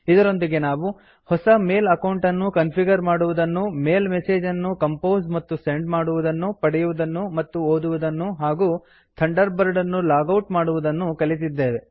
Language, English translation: Kannada, We also learnt how to: Configure a new email account, Compose and send mail messages, Receive and read messages, Log out of Thunderbird